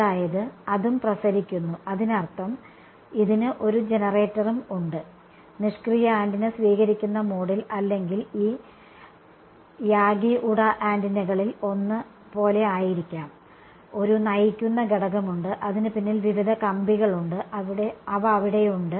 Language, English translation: Malayalam, That is it is also radiating; that means, it also has a generator, passive antenna could be is just sort of in receiving mode or like a one of these Yagi Uda antennas, there is one driving element and there are various rods behind it which are there right